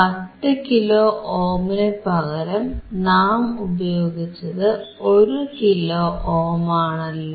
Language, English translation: Malayalam, Because instead of 10 kilo ohm here we have used 1 kilo ohm